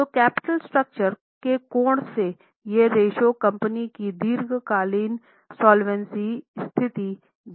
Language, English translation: Hindi, So, from the capital structure angle, these are the ratios which gives insight into long term solvency position of the company